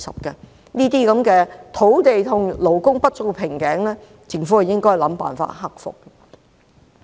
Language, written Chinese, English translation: Cantonese, 這些土地和勞工不足的瓶頸問題，政府應設法克服。, The Government should do its best to solve these bottleneck problems concerning land and manpower shortage